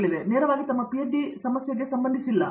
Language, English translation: Kannada, Again, these are not related to directly to their PhD problem per say